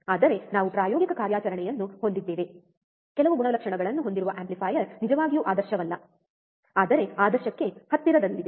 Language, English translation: Kannada, But we will have a practical operation, amplifier with some characteristics which are not really ideal, but close to ideal ok